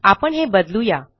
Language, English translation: Marathi, Let me change this